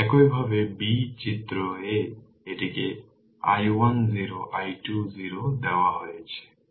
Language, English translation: Bengali, And similarly figure b figure a it is given i 1 0 i 2 0